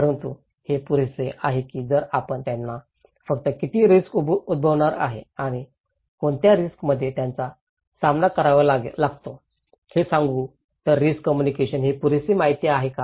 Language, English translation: Marathi, But is it enough, if we only tell them the level of risk that what extent they are going to affected and what risk they are facing therein what risk is imminent, is this enough information in risk communications